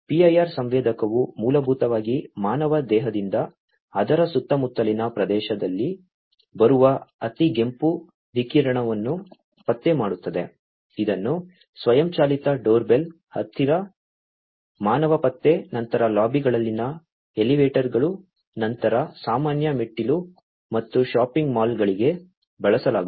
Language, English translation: Kannada, PIR sensor basically detect the infrared radiation coming from the human body in its surrounding area it is used for automatic doorbell, close closer, human detection, then the elevators in the lobbies, then common staircase, and shopping malls